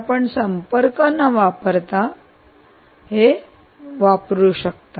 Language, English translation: Marathi, so you can use non contact